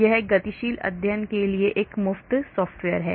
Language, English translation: Hindi, it is a free software for dynamic study